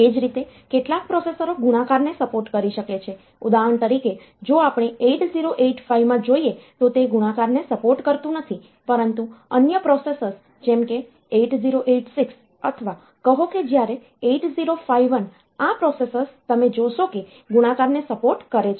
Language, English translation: Gujarati, So, some processors may support multiplication for example, if we look into 8085 it does not support multiplication, but if you go to other processors like 8086 or say when 8051, so, those processors, you will find that multiplication is supported there